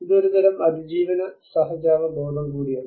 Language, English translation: Malayalam, It is also a kind of survival instinct